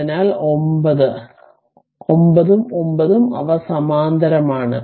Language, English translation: Malayalam, So, 9 and 9 they are in parallel